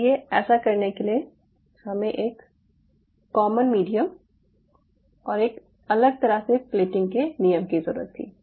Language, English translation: Hindi, so in order to do that, what we needed was a common medium and a different plating rules